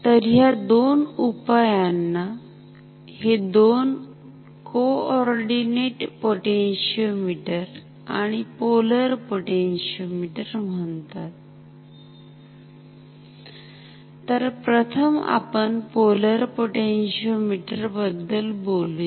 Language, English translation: Marathi, So, these two solutions, these two potentiometers are called coordinate potentiometer and polar potentiometer ok